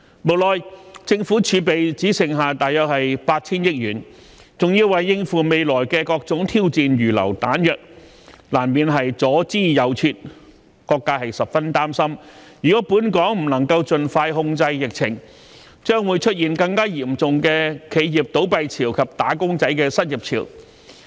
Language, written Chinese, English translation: Cantonese, 無奈政府儲備只剩下約 8,000 億元，還要為應付未來的各種挑戰預留彈藥，難免左支右絀，各界十分擔心，如果本港不能盡快控制疫情，將會出現更嚴重的企業倒閉潮及"打工仔"失業潮。, Nonetheless the Government has only around 800 billion in its reserve and it has to set aside funding to cope with all kinds of challenges ahead . Its straitened circumstance is understandable . Members of the community are gravely worried that if the epidemic in Hong Kong cannot be put under control expeditiously there will be a more devastating wave of business closures and unemployment among wage earners